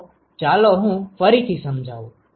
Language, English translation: Gujarati, So, let me explain again ok